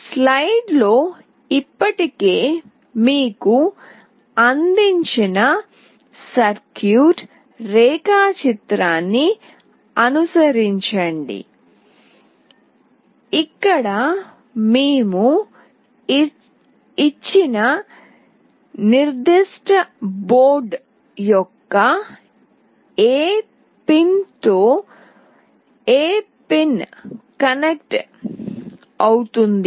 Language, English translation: Telugu, Follow the circuit diagram that is already provided to you in the slide where we have given exactly which pin will be connected to which pin of this particular board